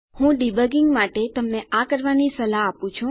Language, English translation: Gujarati, I suggest you do this for debugging